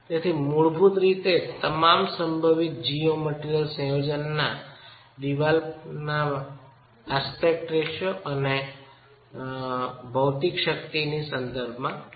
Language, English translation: Gujarati, So, we are basically looking at all possible geometrical combinations in terms of the aspect ratio of the wall and in terms of the material strengths